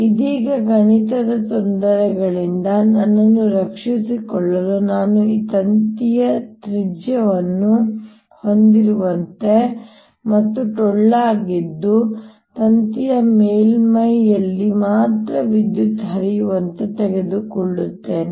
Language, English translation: Kannada, to save myself from mathematical difficulties right now, i take this wire to be such that it has a radius a and is hollow, so that the current flows only on the surface of the wire